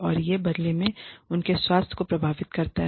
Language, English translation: Hindi, And, that in turn, affects their health